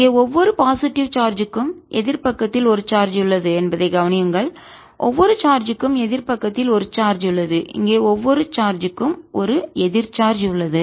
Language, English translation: Tamil, notice that for each positive charge here there is a charge on the opposite side